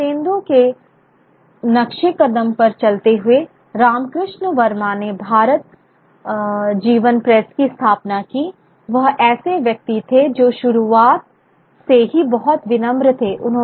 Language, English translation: Hindi, Following Barthi Indus' footsteps, who was Ram Krishna Varma, who established the Bharadjivan Press, a person who was from very humble beginnings